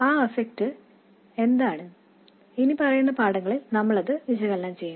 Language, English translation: Malayalam, What that effect is we will analyze in the following lessons